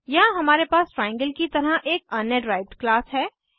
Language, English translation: Hindi, Here we have another derived class as triangle